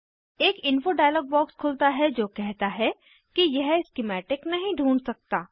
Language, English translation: Hindi, An info dialog box will appear which says that it cannot find the schematic